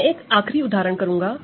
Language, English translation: Hindi, So, let me do a few examples